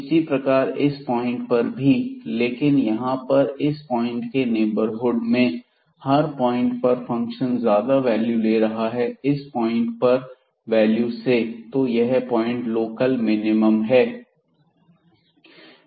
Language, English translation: Hindi, Similarly, at this point here, but this is other way around that all the points in the neighborhood function is taking more values than this point itself then the value of the function at this point itself